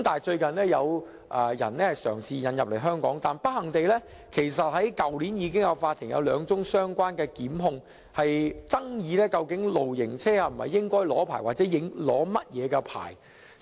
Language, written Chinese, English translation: Cantonese, 最近有人嘗試將露營車引入香港，但不幸地，法庭已有兩宗相關檢控，爭議究竟露營車應否領取牌照或領取甚麼牌照。, Recently some people attempted to introduce caravans into Hong Kong . But unfortunately the court has dealt with two relevant prosecutions involving disputes over the necessity and also the types of licence for caravans